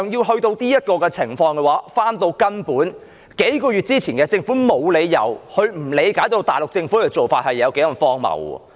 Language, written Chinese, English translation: Cantonese, 事到如今，再回到根本，在數個月前，政府沒有理由不理解大陸政府的做法是多麼的荒謬。, This is the situation as it stands now and let us revisit it from the beginning . Several months ago the Government had no reason not to understand how absurd the approach taken by the Mainland Government was